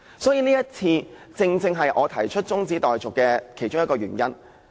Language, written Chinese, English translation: Cantonese, 所以，這正正是我提出中止待續議案的其中一個原因。, So this is precisely one reason why I have to move the adjournment motion